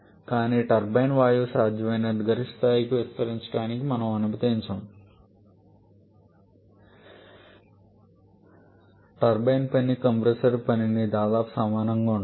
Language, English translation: Telugu, But in the turbine we do not allow the gas to expand to the maximum level possible rather the turbine work is produced such that it is nearly equal to the compressor work